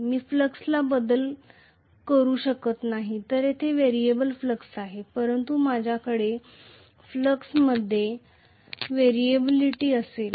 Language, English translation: Marathi, I cannot vary the flux whereas here it is variable flux I will have variability in the flux, right